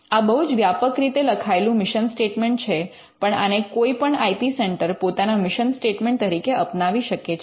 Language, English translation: Gujarati, It is very broadly worded message mission statement, but this is something which any IP centre can have as it is mission statement